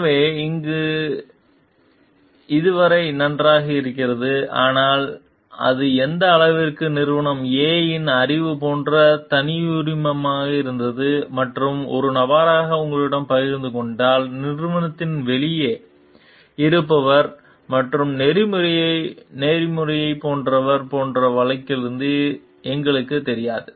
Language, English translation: Tamil, So, till here fine, but we do not know exactly here from the case like to what extent was it a proprietary like knowledge of the company A and which if shared with you as a person, who is outside the company and is like ethical